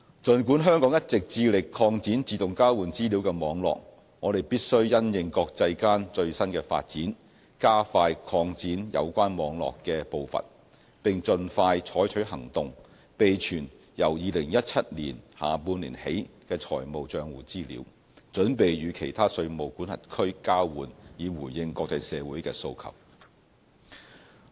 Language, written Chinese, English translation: Cantonese, 儘管香港一直致力擴展自動交換資料的網絡，我們必須因應國際間最新的發展，加快擴展有關網絡的步伐，並盡快採取行動，備存由2017年下半年起的財務帳戶資料，準備與其他稅務管轄區交換，以回應國際社會的訴求。, While Hong Kong has been endeavouring to expand the network of AEOI we must speed up the pace of expansion to cope with the latest development in the international community . We must act expeditiously to preserve information of financial accounts starting from the second half of 2017 with a view to exchanging the information with other jurisdictions and meeting the aspiration of the international community